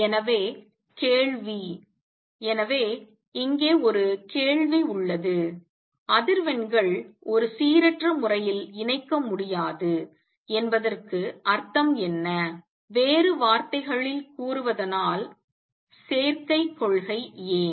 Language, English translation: Tamil, So, question so, let me there is a question here what does it mean that frequencies cannot be combined in a random manner, in other words why the combination principle